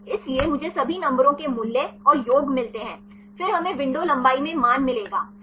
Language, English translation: Hindi, So, I get the values and sum of all the numbers then we will get the value of the in a window length right